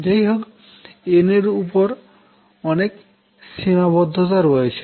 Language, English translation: Bengali, However, there are more restrictions on n